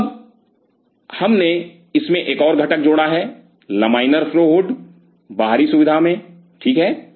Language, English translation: Hindi, So, now, we added one more component into it the laminar flow hood in outer facility ok